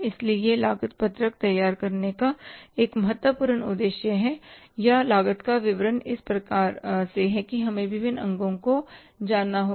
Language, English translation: Hindi, So, this is the one important purpose for preparing the cost sheet or the statement of the cost this way that we have to know the different components